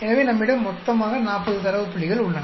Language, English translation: Tamil, So we have totally 40 data points